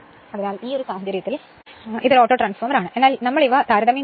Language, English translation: Malayalam, So, in this case, so this is an Autotransformer, but we have to compare these 2 right